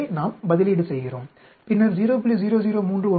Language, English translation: Tamil, So, we substitute and then we should get 0